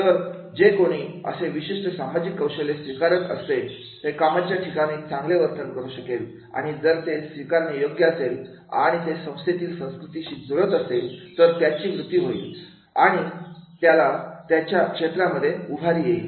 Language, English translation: Marathi, So, one who is able to adopt those particular social skills he will be able to demonstrate that type of behavior at the workplace and if it is acceptable and matching with the organization culture, he will grow, he will raise in the field